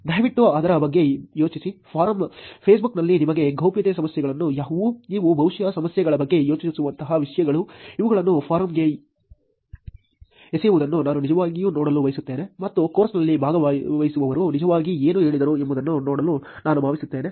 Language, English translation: Kannada, Please think about it, what are your privacy issues on, forum, on Facebook, the things like you probably think the issues, I would like to actually see these being thrown into the form and that see what the participants of the course actually said